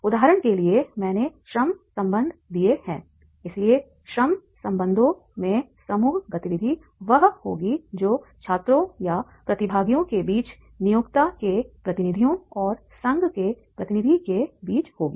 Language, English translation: Hindi, So in labor relations, the group activity will be that is the between the students or the participants, the representatives of employer and representatives of the union